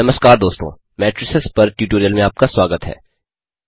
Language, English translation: Hindi, Hello friends and welcome to the tutorial on Matrices